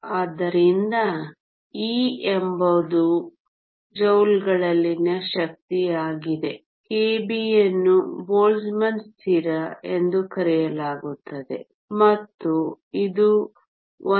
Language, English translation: Kannada, So, e is the energy in joules, k b is called Boltzmann constant and is equal to 1